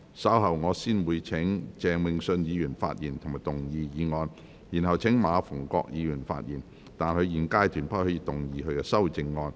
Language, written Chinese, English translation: Cantonese, 稍後我會先請鄭泳舜議員發言及動議議案，然後請馬逢國議員發言，但他在現階段不可動議修正案。, Later I will first call upon Mr Vincent CHENG to speak and move the motion . Then I will call upon Mr MA Fung - kwok to speak but he may not move the amendment at this stage